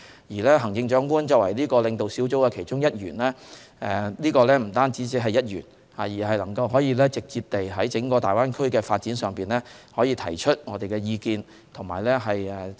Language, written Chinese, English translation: Cantonese, 而行政長官作為該領導小組的其中一員，不僅只是一員，而是可直接在整個大灣區的發展上提出我們的意見。, The Chief Executive being one of the members of that leading group is more than a member but can raise our views directly on the overall development of the Greater Bay Area